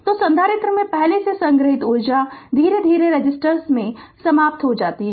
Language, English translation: Hindi, So, the energy already stored in the capacitor is gradually dissipated in the resistor